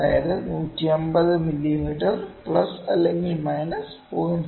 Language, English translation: Malayalam, So, it can be 150 mm plus minus